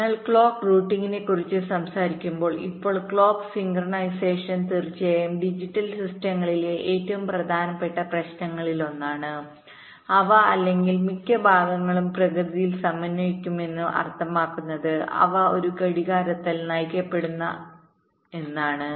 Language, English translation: Malayalam, ok, so, talking about clock routing now clock synchronisation is, of course, one of the most important issues in digital systems, which, or most parts, are synchronous in nature, means they are driven by a clock